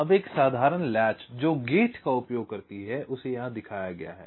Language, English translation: Hindi, now a simple latch that uses gates is shown here